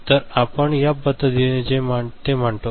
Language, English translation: Marathi, So, we term it in this manner